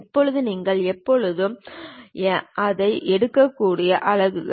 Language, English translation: Tamil, Now, the units you can always pick it